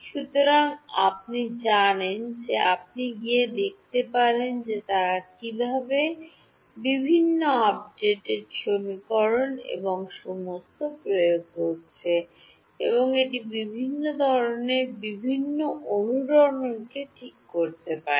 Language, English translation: Bengali, So, you know you can go and see how they have implemented various update equations and all and it can handle of quite a variety of different resonances ok